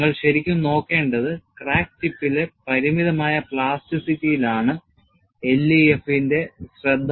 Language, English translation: Malayalam, And, what you will have to really look at is, limited plasticity at the crack tip was the focus in LEFM